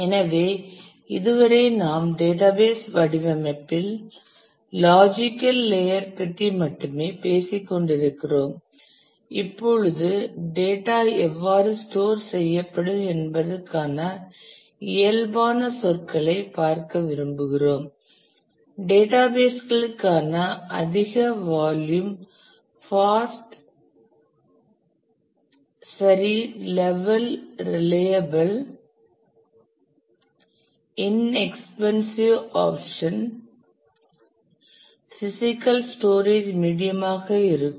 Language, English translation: Tamil, So, far we have been talking only about the logical layer of the database design and now we want to actually look at the in physical terms how the data will be stored what could be the physical storage medium for high volume fast reliable inexpensive options for databases